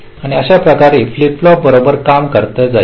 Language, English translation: Marathi, so so in this way the flip flop will go on working right